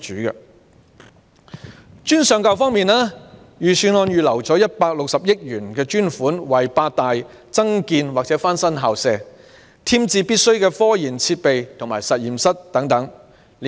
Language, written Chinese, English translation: Cantonese, 在專上教育方面，預算案預留160億元，為八大院校增建或翻新校舍，添置必須的科研設備及實驗室等。, For tertiary education the Budget has set aside a provision of 16 billion for eight universities to enhance or refurbish campus facilities in particular the provision of additional facilities essential for research and development activities and laboratories etc